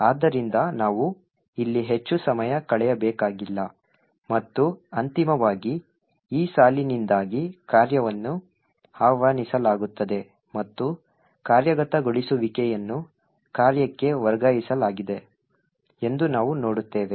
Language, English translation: Kannada, So, we don’t have to spend too much time over here and eventually we would see that the function gets invoked due to this line and the execution has been transferred to the function